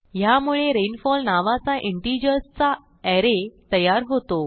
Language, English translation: Marathi, This declares rainfall as an array of integers